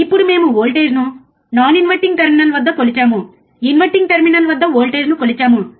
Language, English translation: Telugu, Now we have measured the voltage as non inverting terminal, we have measured the voltage at inverting terminal